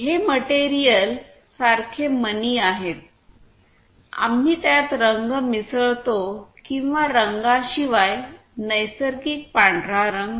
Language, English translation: Marathi, This is the beads like material, we mix color with it or without color for natural white